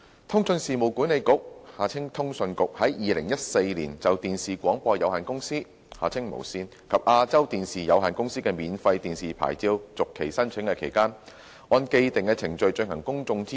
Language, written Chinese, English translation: Cantonese, 通訊事務管理局於2014年就電視廣播有限公司及亞洲電視有限公司的免費電視牌照續期申請，按既定程序進行公眾諮詢。, Following established procedures the Communications Authority CA conducted a public consultation exercise in 2014 in respect of the applications of Television Broadcasting Limited TVB and the Asia Television Limited for renewal of their free television licences